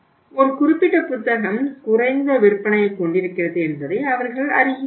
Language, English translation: Tamil, They see that means a one particular book is having a low sales